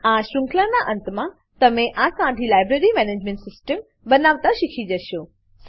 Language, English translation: Gujarati, At the end of this series, you will learn to create this simple Library Management System